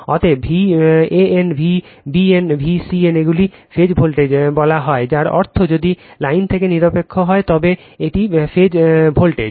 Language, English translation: Bengali, Therefore, V a n, V b n, V c n they are called phase voltages that means, if line to neutral, then it is phase voltages